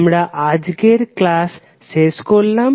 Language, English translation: Bengali, So we close this session today